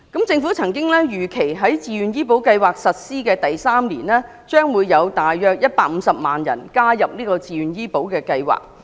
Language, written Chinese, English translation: Cantonese, 政府曾經預期，在自願醫保計劃實施第三年，將有大約150萬人加入計劃。, As previously estimated by the Government about 1.5 million people will take part in VHIS three years after its implementation